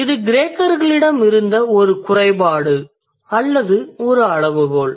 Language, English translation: Tamil, So that's a drawback or a limitation that Greeks had